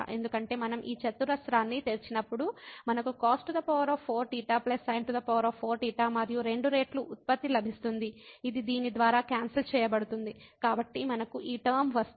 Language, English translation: Telugu, Because when we open this square we will get cos 4 theta plus sin 4 theta and 2 times the product which is it will be cancelled by this one, so we will get this term